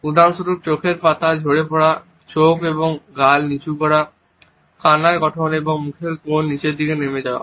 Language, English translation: Bengali, For example, dropping eyelids, lowered lips and cheeks, formation of tears and corners of the mouth dropping downwards